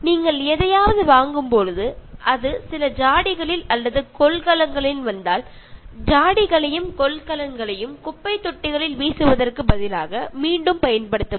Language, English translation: Tamil, And when you are buying something and if it comes in some jars or containers, reuse jars and containers instead of throwing them in dust bins